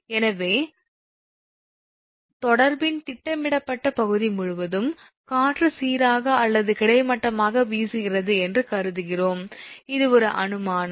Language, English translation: Tamil, Therefore, we assume that wind blows uniformly or horizontally across the projected area of the contact, this is an assumption